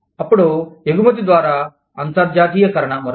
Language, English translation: Telugu, Then, internationalization through export, is another one